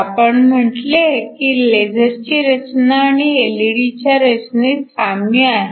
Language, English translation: Marathi, We said that the structure of a laser is very similar to that of an LED